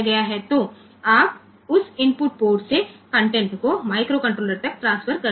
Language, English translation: Hindi, So, you can transfer the content from that input port to the microcontroller by that